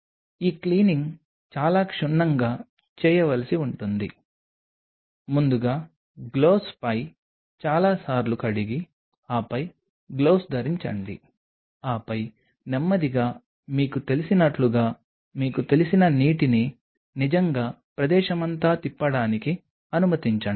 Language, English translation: Telugu, This cleaning has to be done very thoroughly put on the gloves first of all wash several times and then put on the gloves and then slowly you know kind of you know allow it to really the water to you know roll through all over the place